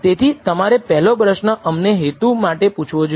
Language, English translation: Gujarati, So, the first question that you should ask us the purpose